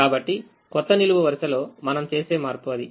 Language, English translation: Telugu, so that is the change that we make in the new column